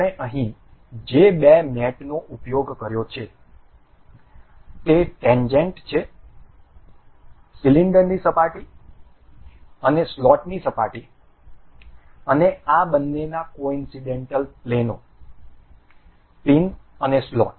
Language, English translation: Gujarati, The two the two mates we have used here is tangent, the surface of the cylinder and the surface of the slot and the coincidental planes of the both of these, the pin and the slot